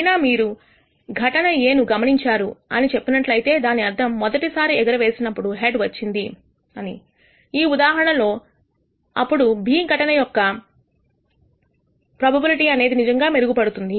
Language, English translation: Telugu, However, if you tell me that you are observed event A; that means, that the first toss is a head, in this case then the probability of event B is actually im proved